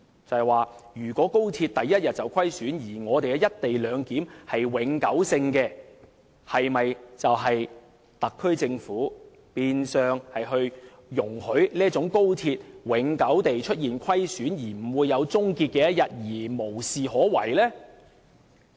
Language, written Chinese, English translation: Cantonese, 這樣，如果高鐵首天便虧損，而"一地兩檢"則是永久性，是否等於特區政府變相容許高鐵永久出現虧損，不會有終結的一天，而無事可為呢？, In case XRL records loss in its very first day of operation does the eternal arrangement of the co - location clearance imply that the Government has to allow XRL to suffer loss forever and can nothing with this?